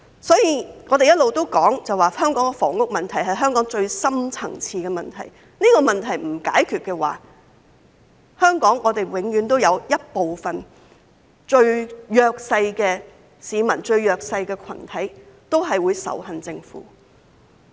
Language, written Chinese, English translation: Cantonese, 所以，我們一直提出房屋問題是香港最深層次的問題，如果這個問題不解決，香港永遠都有一部分最弱勢的市民、最弱勢的群體會仇恨政府。, Therefore we have been saying that the housing problem is the most deep - rooted problem in Hong Kong and if it is not solved there will always be most disadvantaged people and groups in Hong Kong who hate the Government